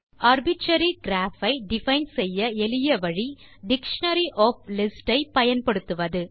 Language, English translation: Tamil, The simplest way to define an arbitrary graph is to use a dictionary of lists